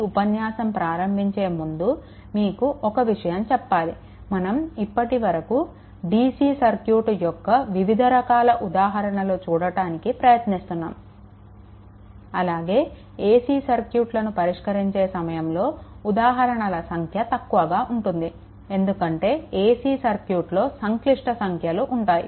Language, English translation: Telugu, Just before beginning this let me tell you one thing that for the dc circuits, we are trying to see so many different types of problems but at the same time when will come to the ac circuits right at that time number of examples, I have to reduce a because at that time complex number will be involved